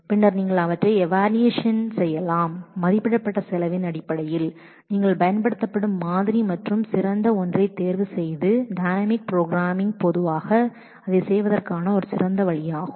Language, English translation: Tamil, And then you can evaluate them based on the estimated cost that the model that you are using and choose the best one and dynamic programming is usually a good way of doing that